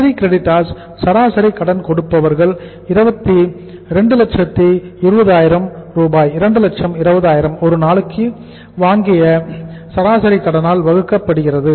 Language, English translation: Tamil, Sundry creditor average sundry creditors are 220000 2 lakh twenty thousands divided by the average credit purchased per day